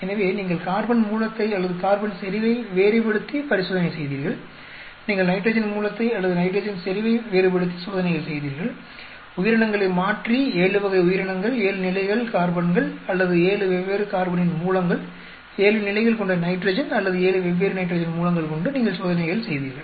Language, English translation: Tamil, So, you did experiment by varying a carbon source or carbon concentration you did experiments by varying nitrogen source or nitrogen concentration, you did experiments by varying organism, 7 type of organism, 7 levels of carbons or 7 different carbon sources, 7 levels of nitrogen or 7 different types of nitrogen source